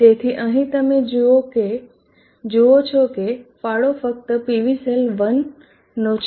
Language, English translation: Gujarati, So here you see that the contribution is only from PV cell 1